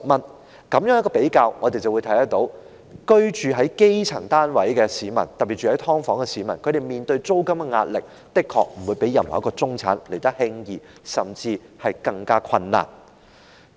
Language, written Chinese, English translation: Cantonese, 在比較兩者之後，我們便會看到居住在基層單位的市民，特別是居於"劏房"的市民，他們面對的租金壓力的確不比任何一位中產人士來得輕鬆，甚至是更困難。, In comparison we can see that for people living in rudimentary housing especially those dwelling in subdivided units the rental pressure faced by them is indeed in no way easier than anyone in the middle class and worse still they may face even greater difficulties